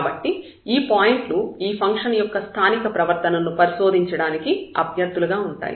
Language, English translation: Telugu, So, these points will be the candidates, which we need to investigate for the behavior the local behavior of the function at that point